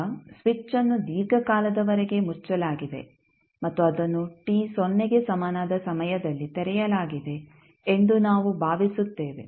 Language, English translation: Kannada, Now, we assume that switch has been closed for a long time and it was just opened at time t equal to 0